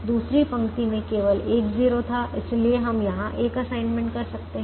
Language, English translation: Hindi, the second row had only one zero, so we could make an assignment here